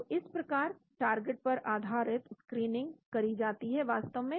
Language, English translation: Hindi, And this is how the target based screening is carried out actually